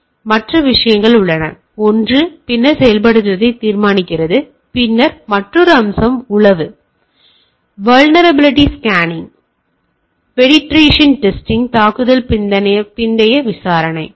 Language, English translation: Tamil, So and there are other that, so one is determining then implementing, then other aspect is reconnaissance, then vulnerability scanning, penetration testing, post attack investigation